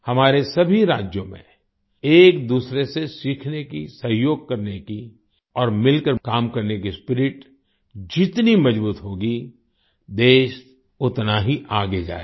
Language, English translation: Hindi, In all our states, the stronger the spirit to learn from each other, to cooperate, and to work together, the more the country will go forward